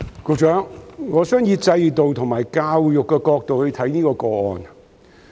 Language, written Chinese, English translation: Cantonese, 局長，我想以制度和教育的角度來看這宗個案。, Secretary I wish to examine this case from the perspectives of the system and education